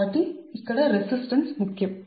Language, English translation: Telugu, so resistance here are important